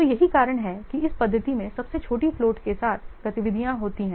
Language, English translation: Hindi, So, that's why in this method the activities with the smallest float they are given the highest priority